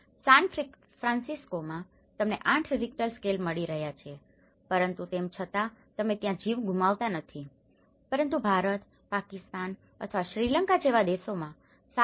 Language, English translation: Gujarati, In San Francisco, you are getting eight Richter scale but still, you are not losing lives over there but in India countries like India or Pakistan or Sri Lanka even a 7